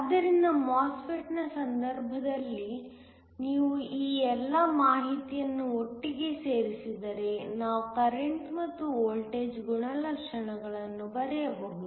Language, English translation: Kannada, So, in the case of a MOSFET, if you put all this information together we can draw current verses voltage characteristics